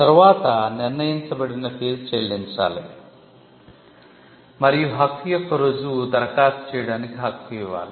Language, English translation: Telugu, Then, the required fees has to be paid; and the proof of right, the right to make an application has to be given